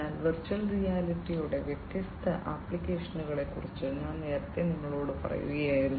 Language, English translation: Malayalam, So, I was telling you about the different applications of virtual reality earlier